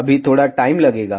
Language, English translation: Hindi, It will just take some time